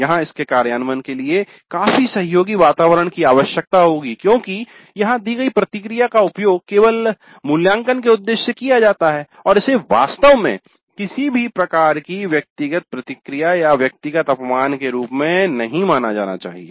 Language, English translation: Hindi, Of course the implementation of this would require considerable kind of a cooperative environment where the feedback that is given is used only for the purpose of evaluation and it is not really considered as any kind of personal kind of feedback or a personal kind of affront